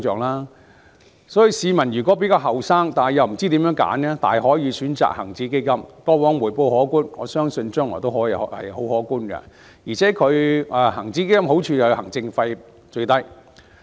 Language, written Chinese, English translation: Cantonese, 故此，比較年青的市民又不知道如何選擇的話，大可選擇恒指基金，它過往的回報可觀，我相信將來亦然，而且好處是行政費用最低。, Therefore those younger members of the public who do not know how to make the choice may choose the HSI Fund . It enjoyed considerable returns in the past and I believe it will continue to be so in the future and the advantage is that its administration fee is the lowest